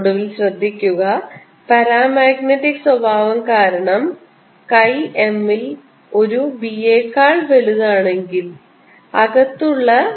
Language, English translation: Malayalam, notice that, finally, because of the paramagnetic nature, if chi m is greater than one, b inside is greater than b applied